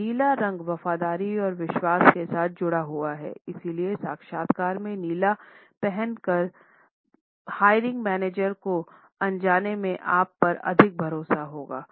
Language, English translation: Hindi, Now, the color blue is associated with loyalty and trust, so the simple act of wearing blue to the interview will make the hiring manager unconsciously trust you more